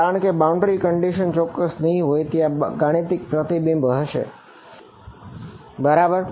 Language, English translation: Gujarati, Because this boundary condition is not exact, there will be a mathematical reflection right